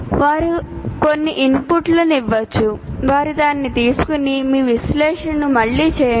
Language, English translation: Telugu, And then if they may give some inputs, you make that and again redo, redo your analysis